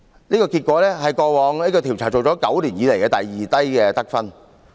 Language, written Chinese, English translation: Cantonese, 這個結果是過往9年調查以來第二低的得分。, This failing score is the second lowest among those of the last nine years of investigation